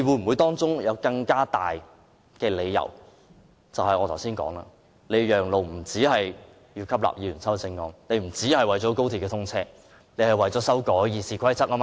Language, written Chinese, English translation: Cantonese, 會否有更大理由，那便是我剛才說的，讓路不僅是為了吸納議員的修正案，不僅是為了讓高鐵通車，而是為了修改《議事規則》，對嗎？, Will there be a more important reason? . As I said earlier the Government asked us to give way not for the sake of incorporating Members amendments or for facilitating the commissioning of XRL; the real reason is for amending RoP right?